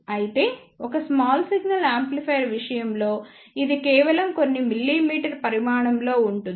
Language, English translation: Telugu, However, in case of a small signal amplifier it is of just few millimeter size